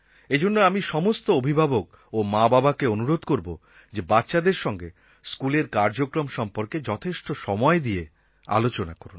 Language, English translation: Bengali, So I would appeal to all guardians and parents to give not just enough time and attention to their children but also to everything that's happenings in their school